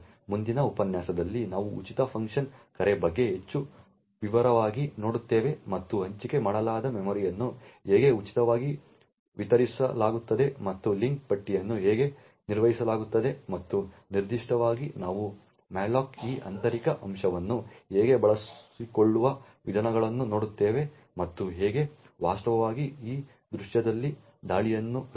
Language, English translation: Kannada, In the next lecture we will look at more into detail about the free function call essentially how free deallocates the allocated memory and how the link list are managed and in particular we will actually look at the ways to exploit this internal aspects of malloc and how to actually create an attack on this scene